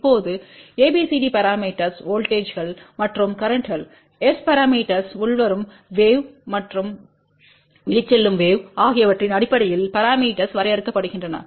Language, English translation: Tamil, Now, ABCD parameters are defined in terms of voltages and currents, S parameters are defined in terms of incoming wave and outgoing wave